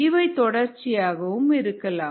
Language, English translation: Tamil, it could be continuous